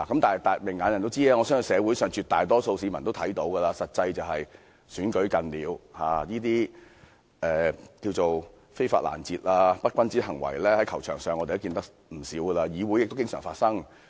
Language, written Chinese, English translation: Cantonese, 但是，明眼人也知道，我相信社會上絕大多數市民也看到，實際上是臨近立法會補選，這些"非法攔截"和"不君子行為"，我們在球場上看過不少，在議會中也經常發生。, Nevertheless people with discerning eyes and I believe the majority of the public know the real reason . As the by - election of the Legislative Council was drawing near the unlawful interception and ungentlemanly acts which are common on football pitch could also be seen in the Legislative Council